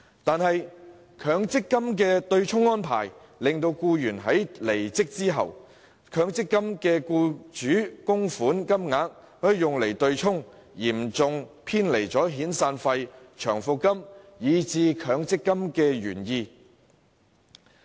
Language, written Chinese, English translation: Cantonese, 可是，在強積金的對沖安排下，僱員離職時強積金的僱主供款會用作對沖，嚴重偏離了遣散費、長期服務金以至強積金的原意。, Under the MPF offsetting mechanism however the employers MPF contribution will be used for offsetting purpose at the termination of his employment . Such an arrangement has seriously deviated from the original purpose served by severance payment long service payment and even the MPF System